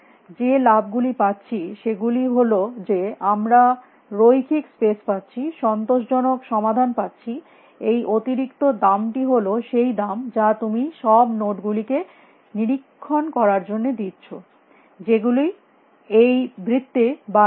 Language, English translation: Bengali, The benefits, we are getting is that we are getting linear space, and optimal guarantee solution guarantee of optimal solution the extra cost is going to be the price that you pay off inspecting all these nodes, which are not inside the this red circle again and again